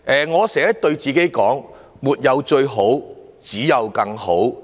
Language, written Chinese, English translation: Cantonese, 我經常對自己說，"沒有最好，只有更好"。, I often tell myself that what is good can always be better